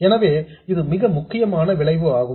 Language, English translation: Tamil, So, this is the most important effect